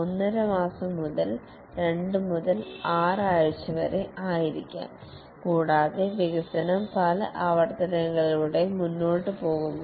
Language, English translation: Malayalam, 5 month, 2 to 6 weeks and the development proceeds over many iterations